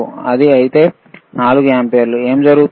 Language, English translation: Telugu, If it is 4 ampere, what will happen